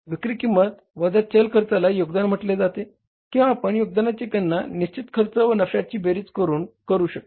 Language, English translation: Marathi, Selling price minus variable cost is called as contribution or you can calculate the contribution as fixed expenses plus profit